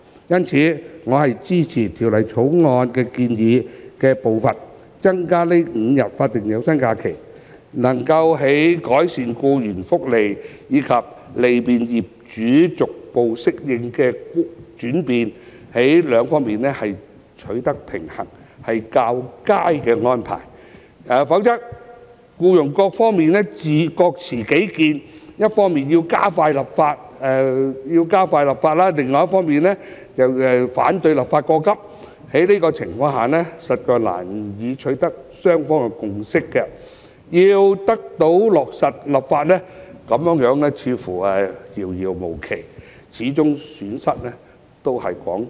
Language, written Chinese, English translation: Cantonese, 因此，我支持以《條例草案》建議的步伐增加5日法定有薪假日，在改善僱員福利及利便僱主逐步適應轉變兩者之間取得平衡，是較佳的安排，否則僱傭雙方各持己見，一方要加快立法，另一方則反對立法過急，在這種情況下，雙方實難以取得共識，要得以落實立法便會遙遙無期，最終承受損失的都是廣大僱員。, This will be a more desirable arrangement which will strike a balance between improving employees benefits and enabling employers to make corresponding adjustments on an incremental basis . Otherwise both sides would stick to their own views with employees calling for expediting the legislative process and employers opposing hasty legislation . Under such circumstances it would be difficult for both parties to reach a consensus and the implementation of the legislation would be indefinitely delayed